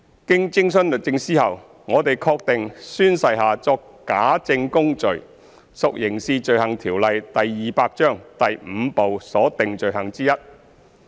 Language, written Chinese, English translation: Cantonese, 經徵詢律政司後，我們確定宣誓下作假證供罪屬《刑事罪行條例》第 V 部所訂罪行之一。, After consultations with the Department of Justice it is confirmed that the offence of perjury belongs to one of the offences under Part V of the Crimes Ordinance Cap